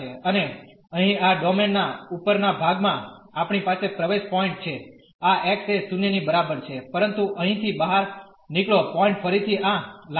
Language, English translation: Gujarati, And in the upper part of this domain here, we have the entry point this x is equal to 0 the same, but the exit point here is again this line